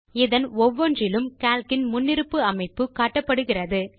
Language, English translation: Tamil, Displayed in each of these are the default settings of Calc